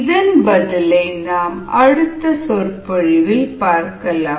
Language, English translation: Tamil, see the solution in the next lecture